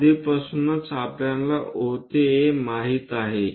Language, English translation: Marathi, Already we know O to A